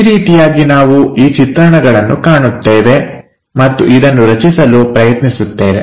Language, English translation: Kannada, This is the way we look at these views and try to construct it